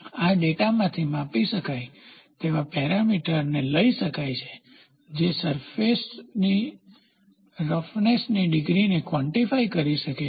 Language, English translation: Gujarati, This enables the extraction of the measurable parameter from the data, which can quantify the degree of surface roughness